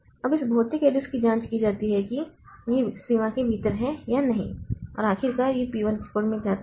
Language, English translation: Hindi, Now this physical address is checked whether it is within the limit or not and then finally it goes to the code of the P1